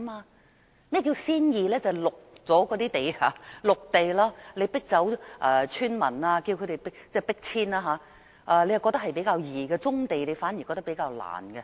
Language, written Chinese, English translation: Cantonese, 甚麼叫"先易"，就是先發展那些綠地，即要迫走村民、要迫遷，政府覺得是較易，發展棕地卻反而覺得是較難。, What is the easier task? . The development of green belt areas is an easier task just evict the villagers will do . The Government considers that this task will be easier than developing the brownfield sites